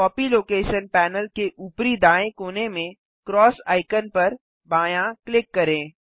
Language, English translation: Hindi, Left click the cross icon at the top right corner of the Copy location panel